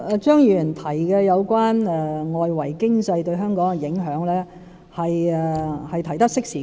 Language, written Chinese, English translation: Cantonese, 張議員提及有關外圍經濟對香港的影響，是提出得適時的。, Mr CHEUNG has made a most time - critical remark on the effect of the external economy on Hong Kong